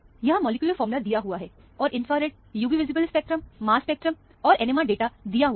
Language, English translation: Hindi, This is, molecular formula is given, and the infrared, UV visible spectrum, mass spectrum and NMR data is also given